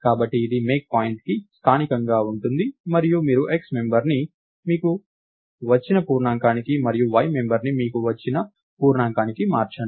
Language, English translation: Telugu, So, this is local to MakePoint and you change the x member to the integer that you got and the y member to the integer y that you got